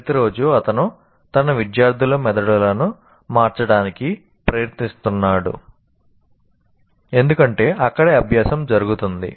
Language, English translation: Telugu, Every day he is trying to change the brain of his students because that is where the learning takes place